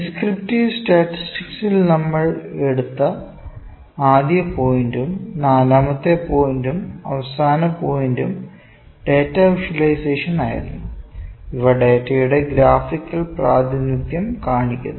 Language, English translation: Malayalam, In descriptive statistics we also took one point, the forth point and the last point was data visualisation, which is the graphical representation of data